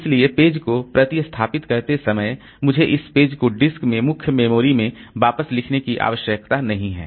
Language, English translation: Hindi, So, while replacing the page, so I don't need to write back this page into main memory into the disk